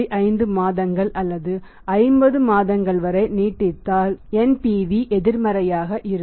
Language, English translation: Tamil, 5 months or 50 months in that case also then NPV is going to be negative